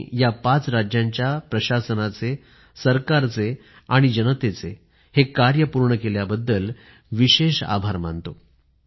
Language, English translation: Marathi, I express my gratitude to the administration, government and especially the people of these five states, for achieving this objective